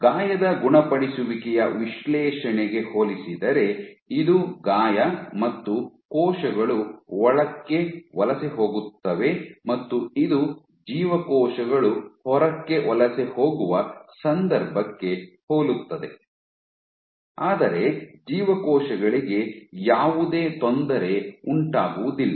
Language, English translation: Kannada, So, compared to the wound healing assay, compared to the wound healing assay where this is your wound and the cells migrate inward this is similar in this case the cells migrate outward, but you have no perturbation to the cells, cells are not perturbed